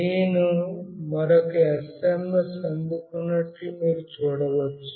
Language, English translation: Telugu, You can see I have received another SMS